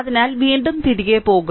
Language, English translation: Malayalam, So, again we will go back right